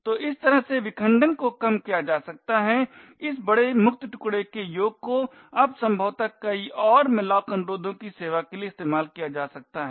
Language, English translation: Hindi, So in this way the fragmentation can be reduced the sum of this large free chunk can now be used to service possibly many more malloc requests